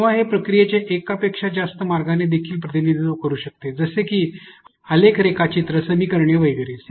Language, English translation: Marathi, Or it may also show multiple representations of the process like a graph diagram, equations etcetera